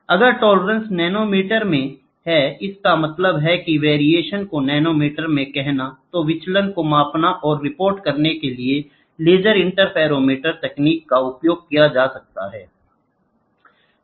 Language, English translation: Hindi, Or, if the tolerance is in nanometer; that means, to say variation is in nanometer, then laser interferometric techniques are used to measure the deviations and report